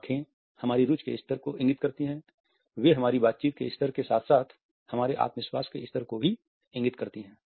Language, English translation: Hindi, Eyes indicate the level of our interest; they also indicate the level of our confidence as well as the level of professional preparation during our interaction